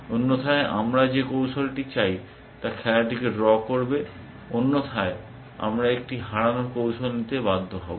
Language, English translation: Bengali, Otherwise we want the strategy it will draw the game, otherwise we are force to accept a loosing strategy